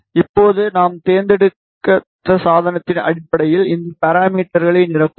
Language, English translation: Tamil, Now, we will fill this parameters based on the device which we have chosen